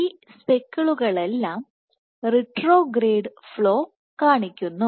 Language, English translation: Malayalam, All these speckles exhibit retrograde flow